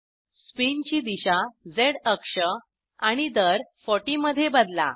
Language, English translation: Marathi, Change the direction of spin to Z axis and rate of spin to 40